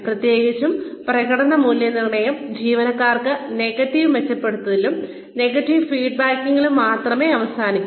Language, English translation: Malayalam, Especially, performance appraisals only end up in negative reinforcement, negative feedback to the employees